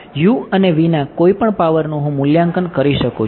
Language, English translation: Gujarati, Any power of u and v I can evaluate